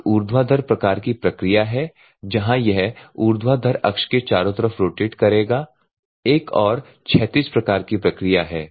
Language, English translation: Hindi, One is vertical type where in it will rotate about vertical axis another one is horizontal